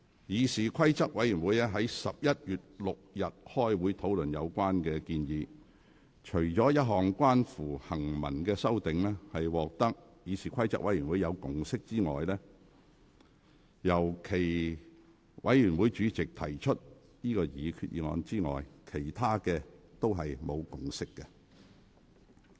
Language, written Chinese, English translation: Cantonese, 議事規則委員會於11月6日開會討論有關建議，除了一項關乎行文修訂，獲得議事規則委員會的共識，由其委員會主席提出擬議決議案之外，其他所有建議均無共識。, CRoP conducted a meeting on 6 November to discuss the relevant proposals and except for one textual amendment which CRoP was able to reach a consensus for the chairman to move the proposed resolution no consensus was reached on other proposals